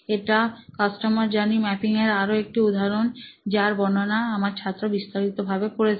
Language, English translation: Bengali, So, this is another example of customer journey map that one of my students had detailed out